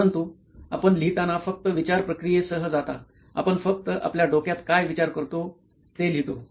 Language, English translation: Marathi, But whereas, in writing you just go with the thought process, we just keep writing what we are thinking in our head